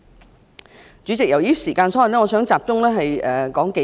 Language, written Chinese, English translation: Cantonese, 代理主席，由於時間所限，我想集中討論數點。, Deputy President due to the time constraint I wish to focus my speech on several points of argument